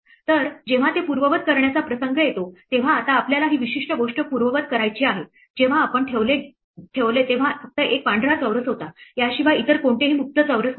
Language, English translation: Marathi, So, when it comes to undoing it for a instance, now we want to undo this particular thing now this when we put it had only one white square, there was no free squares other than this